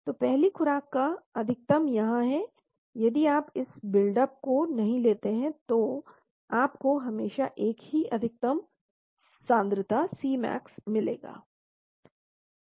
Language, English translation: Hindi, So the first dose max is here, if you do not consider this build up, you will always get the same maximum concentration C max